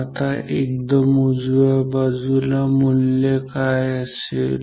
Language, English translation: Marathi, Now, what should be the value at the extreme right